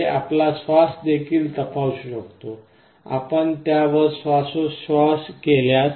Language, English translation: Marathi, It can also check your breath; you can exhale on top of it